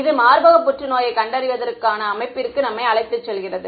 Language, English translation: Tamil, This sort of brings us to the setup of for breast cancer detection ok